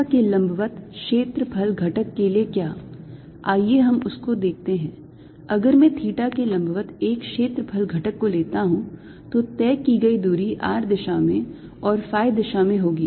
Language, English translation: Hindi, if i am taking an area element perpendicular to theta, the distances covered are going to be in the r direction and in phi direction